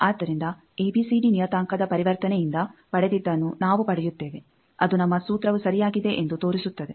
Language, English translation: Kannada, So, we get the same thing that we got from conversion from ABCD parameter that shows that our formula is correct